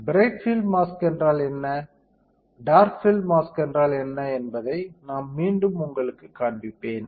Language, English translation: Tamil, I will show it to you once again what is bright field and what is dark field mask